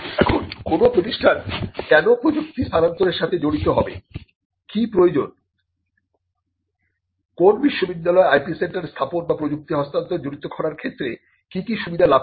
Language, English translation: Bengali, Now, why should an institute involve in technology transfer or what is the need or what is the benefit that a university gets in establishing an IP centre or in doing this involving in technology transfer